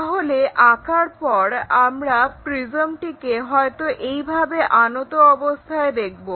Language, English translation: Bengali, So, after drawing we see that the prism perhaps inclined in that way